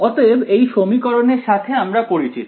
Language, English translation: Bengali, So, this equation we are familiar with